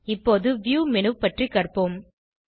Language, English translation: Tamil, Let us now learn about the View menu